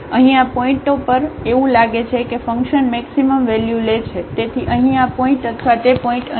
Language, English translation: Gujarati, So, at these points here it seems that the function is taking the maximum values so at though this point here or that point here